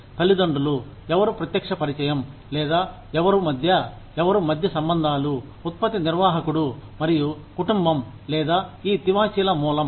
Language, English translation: Telugu, The parents are, who is the direct contact, or, who is the go between, the liaison between, the product manager, and the family of the, or, the source of these carpets